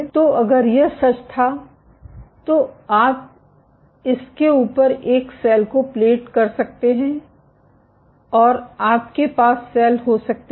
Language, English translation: Hindi, So, if this was true then you can plate a cell on top of this and you can have cells which